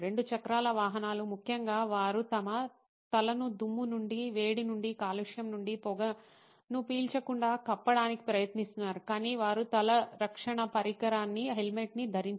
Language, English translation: Telugu, 2 wheelers, particularly, they go through a lot of steps trying to cover their head from dust, from heat, from pollution, from inhaling smoke, but they do not wear a head protection device a helmet